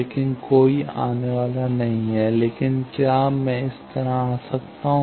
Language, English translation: Hindi, But there is no coming, but can I come like this